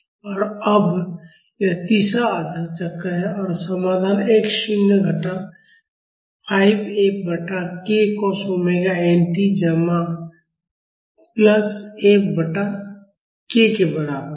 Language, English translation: Hindi, And now, this is the third half cycle and the solution is equal to x naught minus 5 F by k cos omega n t plus F by k